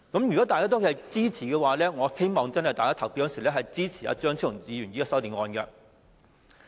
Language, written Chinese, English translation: Cantonese, 如果大家均支持的話，我希望大家投票的時候真的支持張超雄議員的修正案。, If Members are in support of that I hope that they can really support Dr Fernando CHEUNGs amendment when it is put to the vote